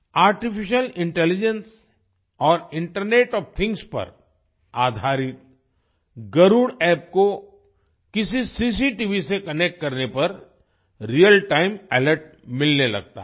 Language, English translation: Hindi, The Garuda App, based on Artificial Intelligence and Internet of Things, starts providing real time alerts on connecting it to any CCTV